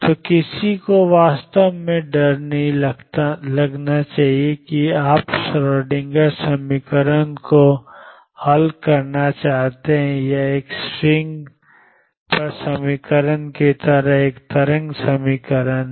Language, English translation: Hindi, So, one should not feel really scared about you know solving the Schrödinger equation it is a wave equation like equation on a string